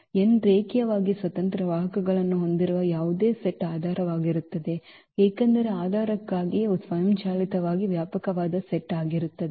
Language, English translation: Kannada, So, any set which has n linearly independent vectors that will be a basis because for the for the basis these will automatically will be the spanning set